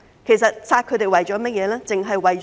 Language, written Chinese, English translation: Cantonese, 其實殺大象的目的為何？, What is the purpose of killing elephants?